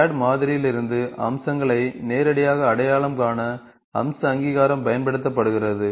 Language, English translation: Tamil, The feature recognition is also used to directly recognise features from the CAD model